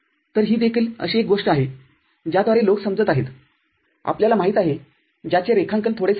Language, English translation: Marathi, So, this is also something by which people are, you know, which is drawing becomes a bit easier